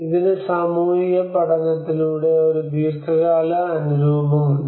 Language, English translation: Malayalam, And this has a long term adaptation through social learning